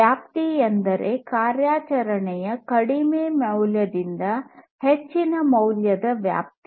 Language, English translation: Kannada, Range means the range of operation lowest value to highest value